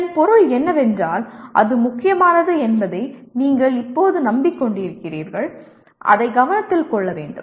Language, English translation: Tamil, That means you now are convincing yourself that it is important and it needs to be taken into consideration